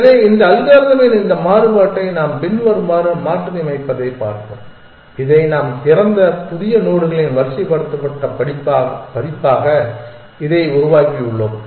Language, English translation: Tamil, So, let us look at this variation of this algorithm in which we modify as follows we simply do this that open is the sorted version of the new nodes that we have generated